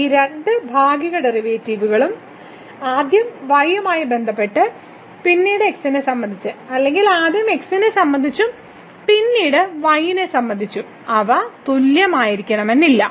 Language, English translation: Malayalam, So, what we have observed that these 2 partial derivatives first with respect to y and then with respect to or first with respect to and then with respect to they may not be equal